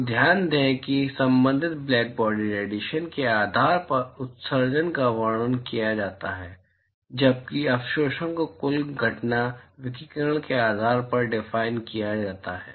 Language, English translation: Hindi, So, note that emissivity is described based on the corresponding blackbody radiation while absorptivity is defined based on the total incident radiation